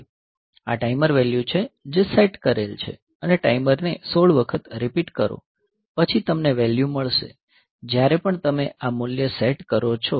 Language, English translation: Gujarati, So, this is the timer value that is set and repeat timer 16 times then you will get about; so every time you set this value